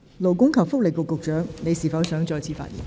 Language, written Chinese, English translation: Cantonese, 勞工及福利局局長，你是否想再次發言？, Secretary for Labour and Welfare do you wish to speak again?